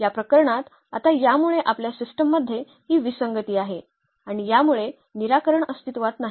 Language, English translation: Marathi, In this case and now because of this we have this inconsistency in the system and which leads to the nonexistence of the solution